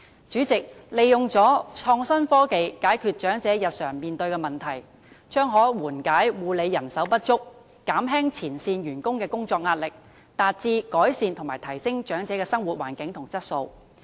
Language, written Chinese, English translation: Cantonese, 主席，利用創新科技解決長者日常面對的問題，可緩解護理人手不足的問題，減輕前線員工的工作壓力，達致改善和提升長者的生活環境和質素。, President if we can resolve the problems faced by the elderly in their daily life through innovation and technology the shortage of nursing manpower will be alleviated and the work pressure of frontline staff hence reduced thereby improving and enhancing the living environment and quality of life of the elderly